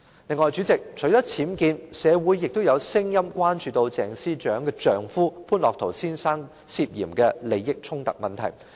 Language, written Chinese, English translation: Cantonese, 此外，主席，除了僭建，社會亦有聲音關注鄭司長的丈夫潘樂陶先生涉嫌利益衝突的問題。, In addition President apart from UBWs the alleged conflict of interest on the part of Ms CHENGs husband Mr Otto POON is also a concern voiced in society